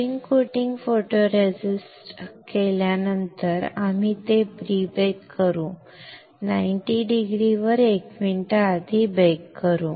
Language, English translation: Marathi, After spin coating photoresist we will pre bake it, pre baked 90 degree 1 minute